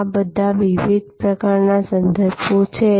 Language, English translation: Gujarati, All these are different types of references